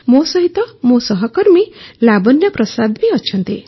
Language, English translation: Odia, My fellow Lavanya Prasad is with me